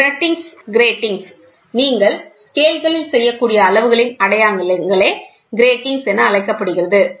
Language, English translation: Tamil, Gratings, the marking what you do on the scales are called as gratings